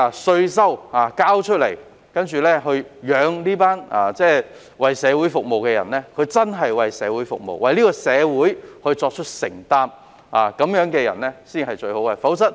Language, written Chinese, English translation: Cantonese, 市民繳交稅款養活這群為社會服務的人，他們應該真正為社會服務並作出承擔，這樣的人才是最好的人選。, As members of the public pay taxes to support this group of people serving the community the latter should genuinely serve and make commitment to the community . Such persons are the best candidates for serving the public